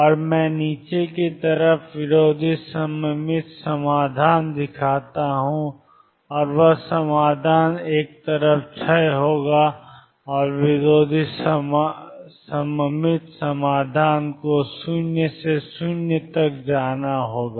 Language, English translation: Hindi, And let me show on the lower side anti symmetric solution and that would be the solution decaying on one side and anti symmetric solution has to go to 0 necessarily through 0